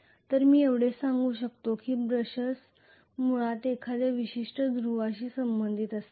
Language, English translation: Marathi, So all I can say is brushers are basically going to be affiliated to a particular pole